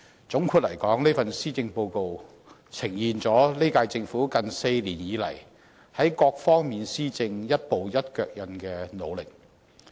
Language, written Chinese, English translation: Cantonese, 總括而言，這份施政報告呈現了現屆政府近4年以來，在各方面施政一步一腳印的努力。, All in all this Policy Address is an embodiment of the strenuous efforts made by the current term Government on various aspects of governance in the last four years